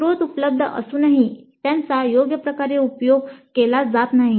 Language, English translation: Marathi, Even though resources are available they are not utilized properly